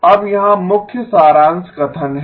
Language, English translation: Hindi, Now here is the key summary statement